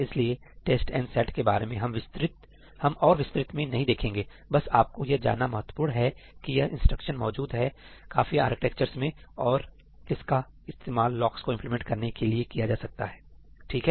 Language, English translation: Hindi, So, we will not get deeper into test and set; it is just important for you to know that this instruction exists in most architectures and it can be used to implement locks